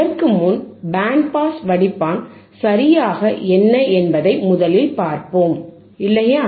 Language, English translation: Tamil, Let us first see what exactly the band pass filter is, right